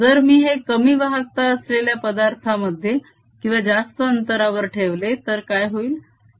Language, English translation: Marathi, what happens if i put it in a material of smaller conductivity or larger distance